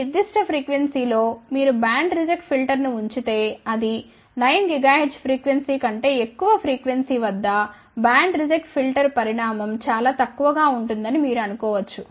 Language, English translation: Telugu, Suppose, if you put a band reject filter at this particular frequency which is you can say that greater than 9 gigahertz ah band reject filter size will be very very small